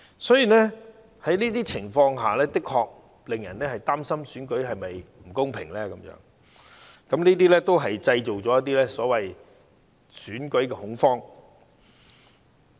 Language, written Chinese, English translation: Cantonese, 所以，情況的確令人擔心選舉是否公平，而這些事情亦製造了"選舉恐慌"。, Owing to these incidents people were indeed worried about the fairness of the election and such incidents have also created election panic